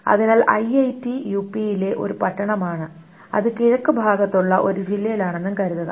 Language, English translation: Malayalam, So IIT is a town in UP and suppose it's in the district east and so on and so forth